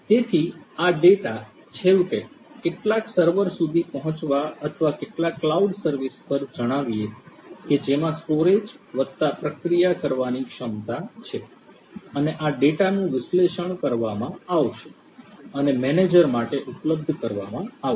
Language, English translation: Gujarati, So, these data are finally, going to reach some server or some cloud service let us say which has storage plus processing capability and this data would be analyzed and would be made available to let us say the manager